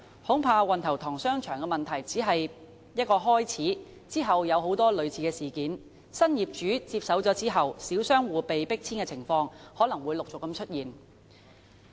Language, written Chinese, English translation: Cantonese, 恐怕運頭塘商場的問題只是一個開始，日後很多類似事件如當新業主接手後小商戶被迫遷的情況，可能會陸續出現。, I am afraid the case of Wan Tau Tong Shopping Centre is only the beginning . Many similar incidents such as forced relocation of small businesses after takeover by the new owners may happen one after another in the future